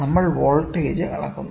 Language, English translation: Malayalam, We measure voltage, ok